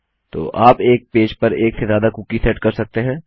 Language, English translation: Hindi, So you see we can set more than one cookie in a page